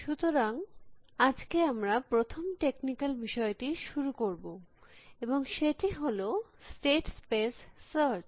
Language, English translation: Bengali, So, today we start with first technical topic and that is state space search